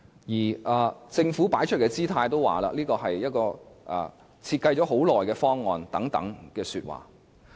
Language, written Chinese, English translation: Cantonese, 而政府擺出的姿態，也說這是一個已經設計了很長時間的方案。, The Government has put up a posture that it has taken a long time to come up with the design of the proposal